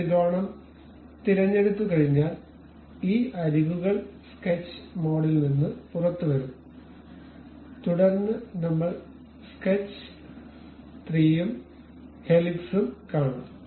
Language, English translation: Malayalam, Once we have that triangle pick this edges come out of the sketch mode, then we will see sketch 3 and also helix